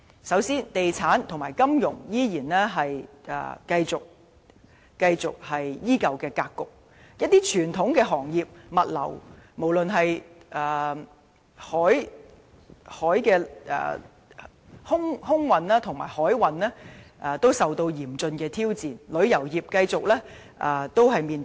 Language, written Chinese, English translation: Cantonese, 首先，地產及金融為主的格局依舊，而一些傳統行業，例如物流、空運和航運也受到嚴峻挑戰，旅遊業的發展繼續面臨瓶頸。, Firstly the dominance of the property and financial sectors remains while such traditional industries as logistics air freight and transportation are faced with severe challenges and tourism development has reached a bottleneck